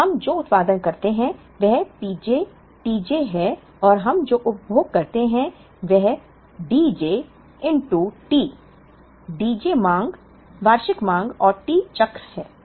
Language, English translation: Hindi, So what we produce is P j t j and what we consume is D j into T D j is the demand annual demand and T is the cycle